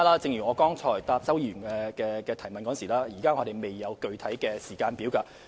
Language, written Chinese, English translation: Cantonese, 正如我剛才答覆周議員的質詢時所指，我們現時未有具體時間表。, As I said in reply to Mr CHOWs question earlier we do not have a specific timetable at the moment